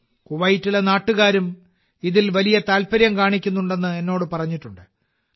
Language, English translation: Malayalam, I have even been told that the local people of Kuwait are also taking a lot of interest in it